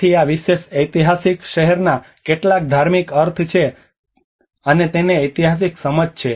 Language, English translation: Gujarati, So this particular historic city has some religious meanings and the historical understanding to it